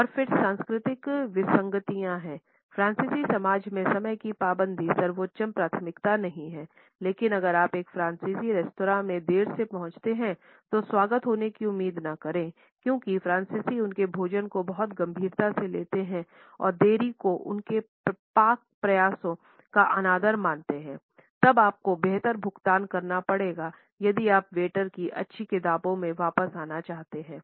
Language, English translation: Hindi, And then there are cultural anomalies; in French society absolute punctuality is not the highest priority, but if you arrive late at a French restaurant do not expect a warm welcome the French take their food very seriously and consider lateness a sign of disrespect for their culinary efforts you had a better pay some serious compliments to the waiters if you want to get back in there good books